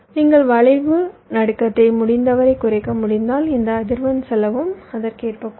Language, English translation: Tamil, so so if you can reduce skew jitter as much as possible, your this frequency cost will also reduced accordingly